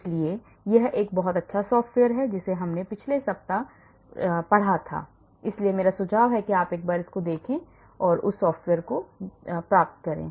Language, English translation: Hindi, So, this is a very good software we demonstrated last week so I suggest that you go and then get that software